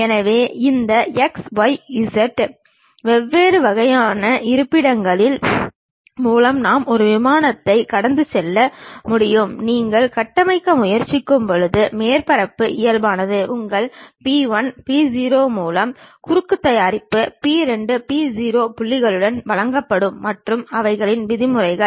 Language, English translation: Tamil, So, through these x, y, z different kind of locations we can pass a plane and the surface normal when you are trying to construct it will be given in terms of your P 1, P0 points cross product with P 2, P0 points and their norms